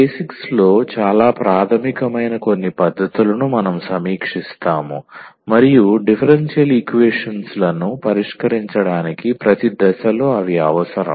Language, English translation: Telugu, So, we will quickly review some of the techniques which are very fundamental of basics and they are required at a every stage for solving the differential equations